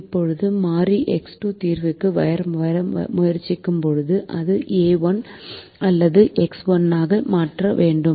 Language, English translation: Tamil, now when variable x two tries to come into the solution it has to replace either a one or x one